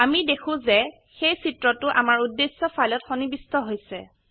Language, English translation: Assamese, We see that the image is inserted into our target file